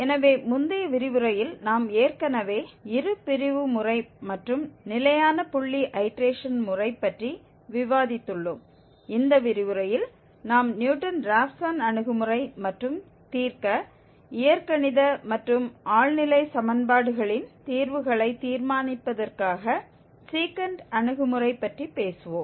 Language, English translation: Tamil, So, in the previous lecture we have already discussed Bisection Method and also the Fixed Point Iteration Method and in this lecture we will be talking about Newton Raphson approach and also Secant approach for solving, for determining the roots of algebraic and transcendental equations